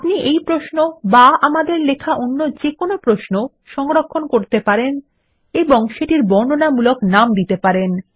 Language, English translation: Bengali, We can save this query or any query we write and give them descriptive names